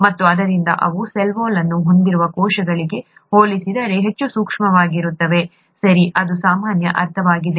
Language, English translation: Kannada, And therefore they are much more shear sensitive than when compared to the cells that have a cell wall, okay, this is common sense